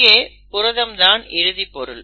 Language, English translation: Tamil, Now this protein is the final product